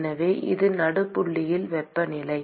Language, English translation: Tamil, So, that is the temperature at the midpoint